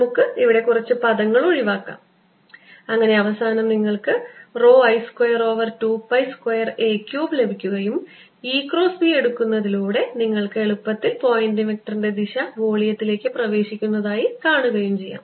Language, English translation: Malayalam, this mu zero cancels and you end up getting rho i square over two pi square a cubed and the direction of the pointing vector is into the volume, as you can easily see by taking e cross b